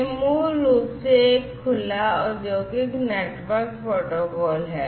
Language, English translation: Hindi, This is basically an open industrial network protocol